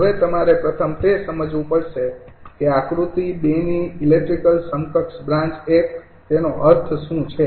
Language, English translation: Gujarati, now, first you have to understand that electrical equivalent of branch one of figure two